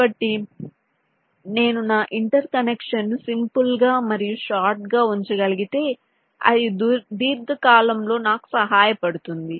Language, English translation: Telugu, so if i can keep my interconnection simple and short, it will help me in the long run